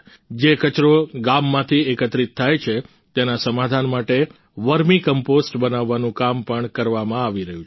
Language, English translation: Gujarati, The work of making vermicompost from the disposed garbage collected from the village is also ongoing